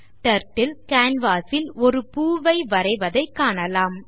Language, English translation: Tamil, Turtle draws a flower on the canvas